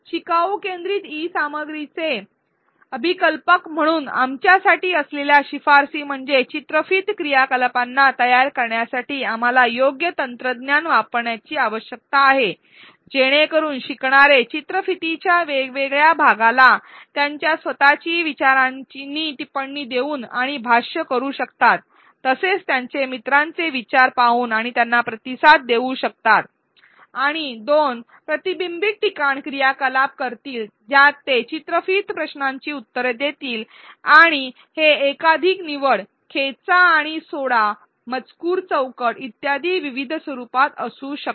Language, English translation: Marathi, The recommendations for us as designers of learner centric e content are that we need to use appropriate technology in order to design in video activities so that learners can one, comment and annotate different parts of the video both with their own thoughts as well as view their peers thoughts and respond to them and two, do reflection spot activities wherein they answer short in video questions and these can be in various formats such as multiple choice, drag and drop, text box and so on